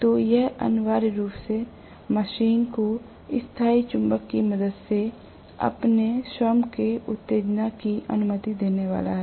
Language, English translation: Hindi, So, this is going to essentially allow the machine to have its own excitation with the help of permanent magnet